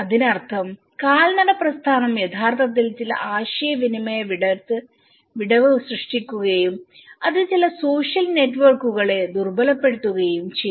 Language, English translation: Malayalam, Which means the pedestrian movement have actually created certain communication gap and also it started weakening some social networks